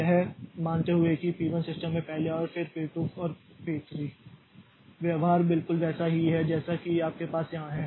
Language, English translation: Hindi, So, first in first out policy assuming that P1 came to the system first followed by P2 and P3, the behavior will be exactly same as what you have here